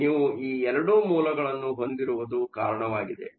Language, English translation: Kannada, So, because you have these 2 sources